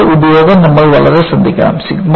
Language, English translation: Malayalam, But its utility you have to be very careful